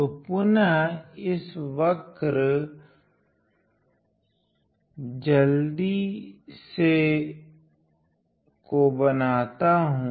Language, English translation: Hindi, So, again let me draw this curve quickly